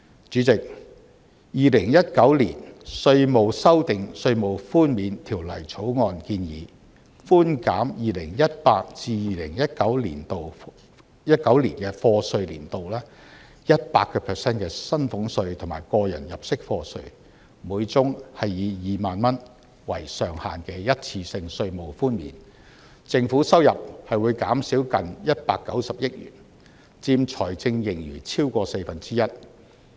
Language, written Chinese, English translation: Cantonese, 主席，《2019年稅務條例草案》建議寬減 2018-2019 課稅年度 100% 的薪俸稅和個人入息課稅，每宗個案以2萬元為上限的一次性稅務寬免，政府收入會因而減少近190億元，佔財政盈餘超過四分之一。, President the Inland Revenue Amendment Bill 2019 the Bill proposes to reduce salaries tax tax under personal assessment and profits tax for the year of assessment 2018 - 2019 by 100 % subject to a ceiling of 20,000 per case where the government revenue will be reduced by nearly 1.9 billion accounting for more than a quarter of the fiscal surplus